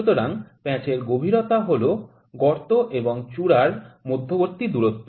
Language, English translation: Bengali, So, the depth of thread is the distance between the crest and root